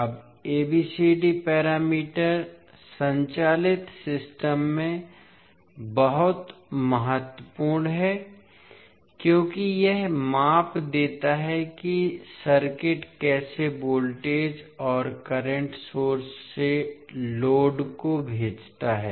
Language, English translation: Hindi, Now ABCD parameter is very important in powered systems because it provides measure of how circuit transmits voltage and current from source to load